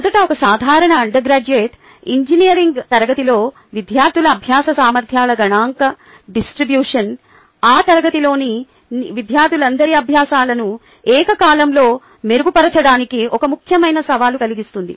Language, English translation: Telugu, the statistical distribution of student learning abilities in a typical undergraduate engineering class poses a significant challenge to simultaneously improve the learning of all students in that class